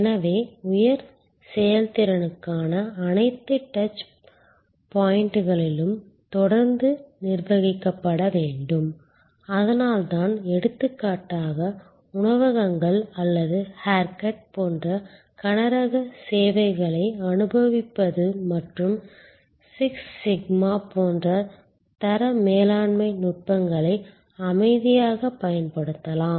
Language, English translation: Tamil, So, all the touch points need to be managed continuously for that level of high performance that is why for example, experience heavy services, like restaurants or haircuts and so on quality management techniques likes six sigma can be quiet gainfully applied